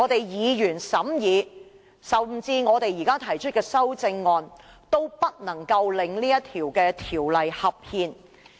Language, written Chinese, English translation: Cantonese, 議員審議《條例草案》，或稍後提出的修正案，都不能夠令《條例草案》合憲。, Members can scrutinize the Bill or move amendments to it later but they cannot make the Bill constitutional